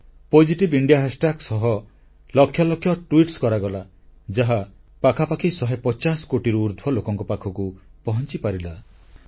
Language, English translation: Odia, Lakhs of tweets were posted on Positive India hashtag , which reached out to more than nearly 150 crore people